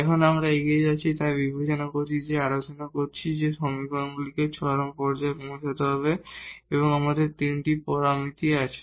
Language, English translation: Bengali, Now, moving further so, we have considered we have discussed that these are the equations which has to be satisfied at the point of a extrema and we have here 3 parameters